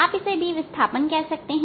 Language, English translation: Hindi, we can say is b displacement